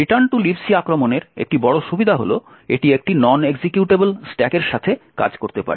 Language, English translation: Bengali, One major advantage of the return to LibC attack is that it can work with a non executable stack